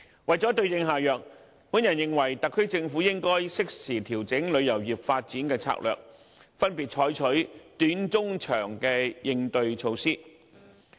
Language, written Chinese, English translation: Cantonese, 為了對症下藥，我認為特區政府應該適時調整旅遊業發展的策略，分別採取短、中、長期的應對措施。, I consider that in order to suit the remedy to the case the SAR Government should timely adjust its development strategy for the tourism industry by taking short - medium - and long - term countermeasures respectively